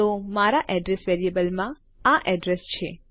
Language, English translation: Gujarati, So This is the address in my address variable